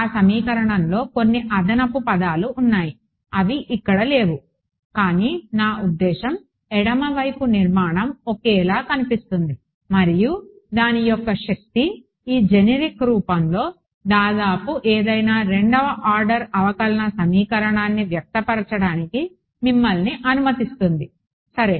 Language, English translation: Telugu, Not exactly there is there are some extra terms in that equation which are not over here, but I mean the left hand side structure looks similar and the power of that is it allows you to express almost any second order differential equation in this generic form ok